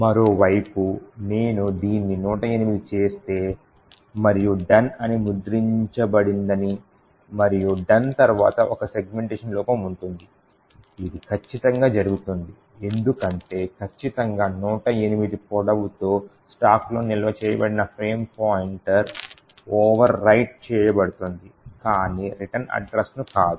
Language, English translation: Telugu, On the other hand, if I make it 108 and the exactly the same thing we see that the done gets printed as well as after done there is a segmentation fault this occurs precisely because with a length of exactly 108 the frame pointer which is stored on the stack is overwritten but not the return address